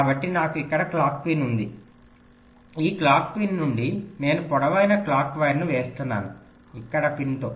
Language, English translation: Telugu, from this clock pin i am laying out a long clock wire, lets say to a pin out here